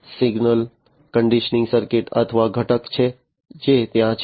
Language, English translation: Gujarati, Then there is this signal conditioning circuit or component that is there